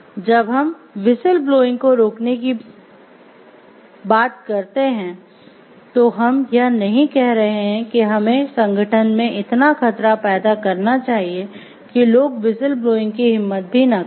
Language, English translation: Hindi, So, what when you are talking of preventing of whistle blowing, we are not telling like we should create a threat environment in the organization so that people do not dare to blow the whistle it is not that